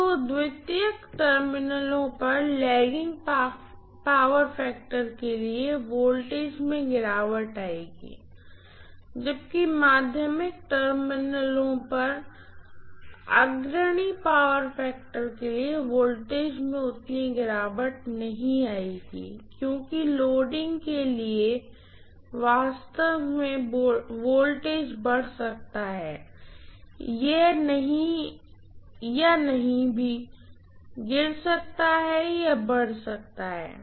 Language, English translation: Hindi, So for lagging power factor voltage at the secondary terminals will fall, whereas for leading power factor voltage at the secondary terminals will not fall as much as for lagging loads, in fact, the voltage can rise, it may not even fall it can rise